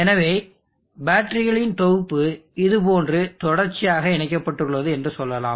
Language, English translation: Tamil, So let us say that we have set of batteries connected in series like this